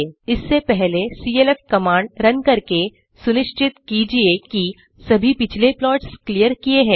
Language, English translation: Hindi, Before that, let us first run clf command to make sure all the previous plots are cleared Then type clf()